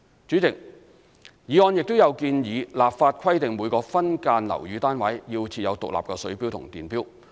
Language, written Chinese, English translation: Cantonese, 主席，議案亦建議立法規定每個分間樓宇單位須設有獨立水錶及電錶。, President the motion also proposes to legislate the installation of separate water and electricity meters for each subdivided unit